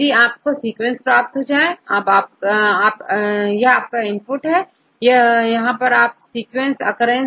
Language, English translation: Hindi, You will get the sequence, this is your input, okay here this is your sequence occurrence as well as the composition